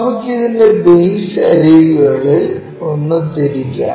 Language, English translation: Malayalam, Let us rotate this one of the base edges